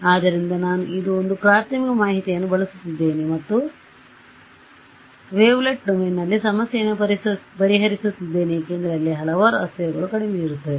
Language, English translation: Kannada, So, I am this is me using apriori information and solving the problem in the wavelet domain why because a number of variables there are lesser